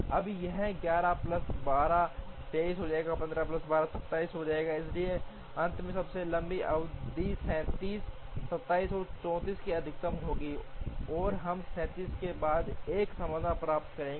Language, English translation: Hindi, Now, this one will become 11 plus 12, 23, 15 plus 12, 27, so finally the longest duration will be the maximum of 37, 27 and 34, and we will get a solution with 37